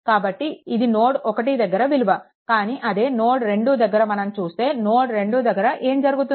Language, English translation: Telugu, So, this is this is actually node 1, but when you come to node 2, node 2 then what will happen